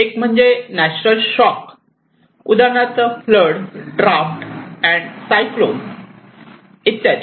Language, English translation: Marathi, One is the natural shocks like flood, drought, and cyclone